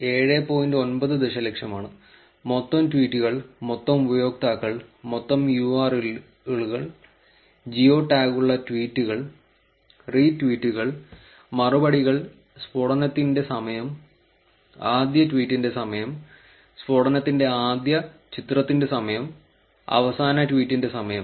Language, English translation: Malayalam, 9 million, and total tweets, total users, total URLs, tweets with geo tag, retweets, replies, time of the blast, time of the first tweet, time of the first image of blast, time of last tweet